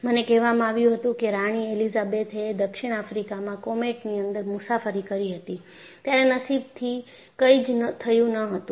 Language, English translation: Gujarati, In fact, I was told that queen Elizabeth has travelled in the comet to southAfrica; fortunately, nothing happened